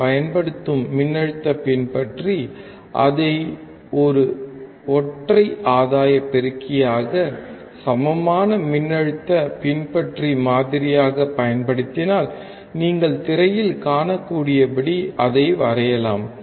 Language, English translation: Tamil, We know that voltage follower we use, if we use it as a unity gain amplifier the equivalent voltage follower model, we can draw it as you can see on the screen